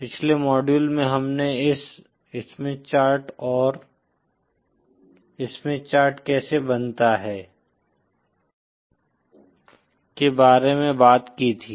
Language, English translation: Hindi, In the previous module we had talked about this Smith Chart and how the Smith Chart is formed